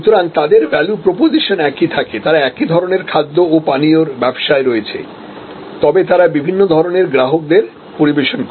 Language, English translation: Bengali, So, their value proposition remains the same, they are in the same kind of food and beverage business, but they serve number of different types of customers